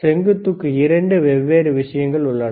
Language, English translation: Tamil, For the vertical, there are 2 different things